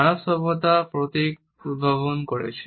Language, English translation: Bengali, Human civilization has invented emblems